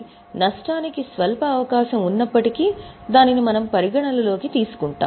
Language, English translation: Telugu, So, even if there is a slight possibility of a loss, we account for it